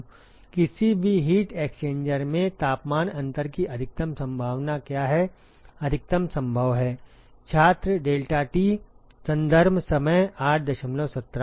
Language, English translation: Hindi, What is the maximum possibility of temperature difference in any heat exchanger, maximum possible